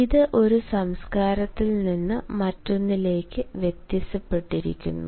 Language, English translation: Malayalam, it varies from one culture to another